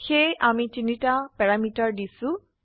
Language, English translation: Assamese, So we have given three parameters